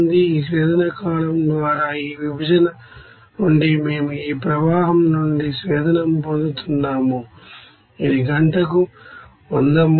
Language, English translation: Telugu, And from this separation by this distillation column we are getting from this stream to we are getting distillate, it is amount is 100 mole per hour